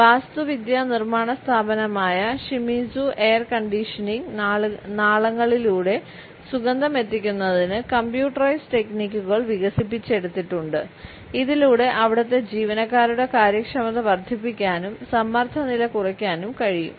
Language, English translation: Malayalam, The architectural and construction firm Shimizu has developed computerized techniques to deliver scents through air conditioning ducts, so that the efficiency of the employees can be enhanced and the stress level can be reduced